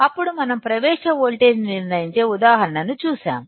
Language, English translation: Telugu, Then we have seen an example of determining the threshold voltage